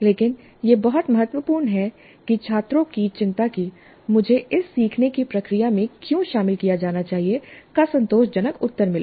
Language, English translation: Hindi, But it's very important that the students concerned as to why I should be engaged in this learning process is satisfactorily answered